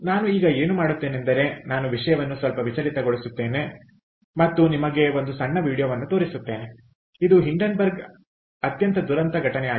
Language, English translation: Kannada, i will just deviate a little bit now and show you a small video, which is the very tragic incident of hindenburg